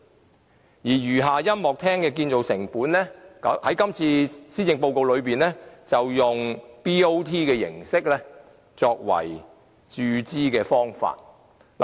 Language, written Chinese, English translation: Cantonese, 至於餘下的音樂中心的建造成本，政府在今次施政報告提出以 BOT 形式作為注資的方法。, As for the remaining Music Centre to be built in WKCD the Government proposes in this Policy Address that the capital cost of the Music Centre will be funded through a BOT arrangement